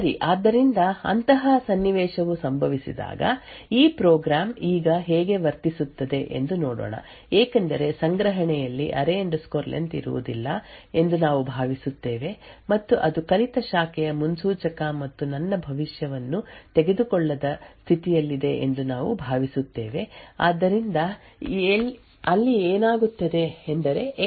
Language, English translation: Kannada, okay so let us see when a such a scenario occurs how this program behaves now since we have a assuming that array len is not present in the cache we also are assuming that the branch predictor it has learned and is in the state my prediction is not taken so there for a what would happen is that even though X is greater than array len these instructions within the if would be speculatively executed